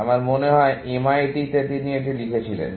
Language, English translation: Bengali, I think in MIT, he wrote this